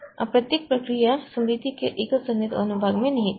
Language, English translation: Hindi, And each process contained in single contiguous section of memory